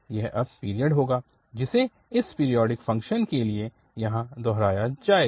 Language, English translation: Hindi, This is, will be the period now, which will be repeated here to have this periodic function